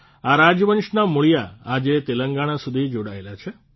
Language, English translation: Gujarati, The roots of this dynasty are still associated with Telangana